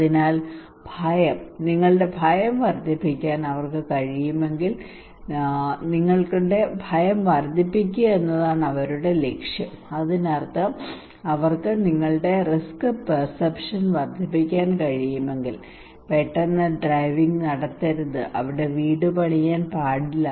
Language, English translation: Malayalam, So fear, it is the target the objective is to increase your fear if they can increase your fear that means if they can increase your risk perception, high risk perception once you have then you should not do rash driving you should not build your house without flood protective measures